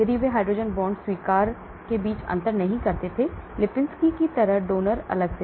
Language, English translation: Hindi, So they did not differentiate between hydrogen bond acceptors separately, donor separately like Lipinski's